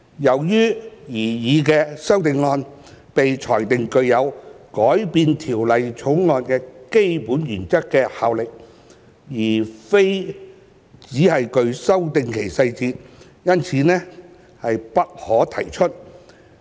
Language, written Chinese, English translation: Cantonese, 由於該擬議修正案被裁定具有改變《條例草案》的基本原則的效力，而非只是修訂其細節，因此不可提出。, Since the proposed amendments would have the effect of altering the fundamental principles of the Bill instead of merely amending its details they have been ruled not admissible